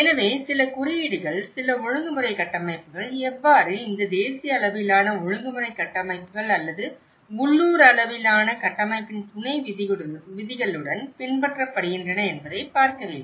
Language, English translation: Tamil, So, whether it is by following certain codes, certain regulatory frameworks and how they are abide with this national level regulatory frameworks or a local level frameworks bylaws